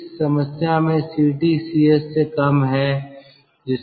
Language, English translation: Hindi, in this problem, ct is less than cs